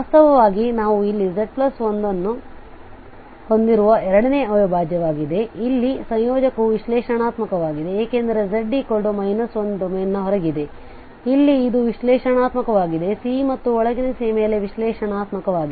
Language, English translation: Kannada, Indeed the second integral here where we have z plus 1, so the integrant here is analytic because z is equal to minus 1 is outside the domain, so here this is analytic, analytic in C and inside C, on C and inside C